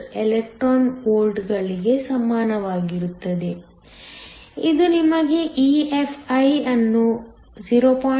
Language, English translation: Kannada, 78 electron volts, which gives you Vo to be 0